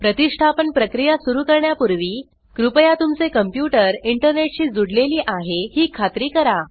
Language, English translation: Marathi, Before starting the installation process please make sure that your computer is connected to the internet